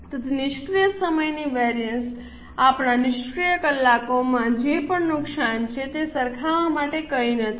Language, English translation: Gujarati, So, idle time variance there is nothing to compare whatever our idle hours are all lost